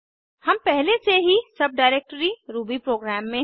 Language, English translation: Hindi, To execute the program, we need to go to the subdirectory rubyprogram